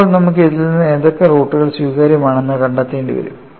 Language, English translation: Malayalam, Now, we will have to find out of this, which are the roots are admissible